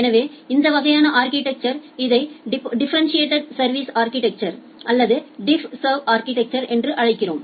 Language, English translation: Tamil, So, this kind of architecture we call it as a differentiated service architecture or DiffServ architecture